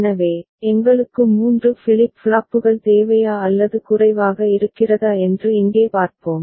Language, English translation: Tamil, So, here let us see whether we require 3 flip flops or less ok